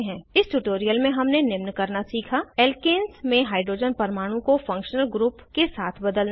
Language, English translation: Hindi, In this tutorial we have learnt to * Substitute the hydrogen atom in alkanes with a functional group